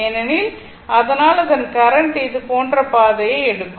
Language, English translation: Tamil, The current will take path like this, right